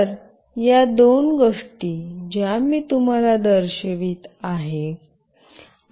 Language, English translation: Marathi, So, these are the two things that I will be showing you